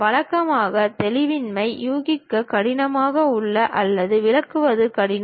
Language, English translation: Tamil, Usually, ambiguity are hard to guess or interpret is difficult